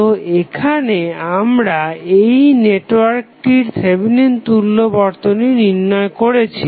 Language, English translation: Bengali, So, here we have created Thevenin equivalent of the network